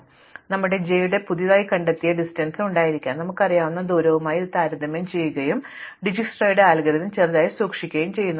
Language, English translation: Malayalam, So, we have a newly discovered distance through j perhaps and we compare it to the distance we already know and we keep the smaller of the Dijsktra's algorithm